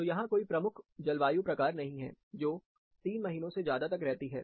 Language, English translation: Hindi, So, there is no specific climate type, which is occurring for more than 3 months